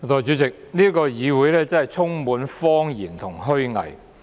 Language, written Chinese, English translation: Cantonese, 代理主席，這個議會充滿謊言和虛偽。, Deputy President this Council is full of lies and hypocrisy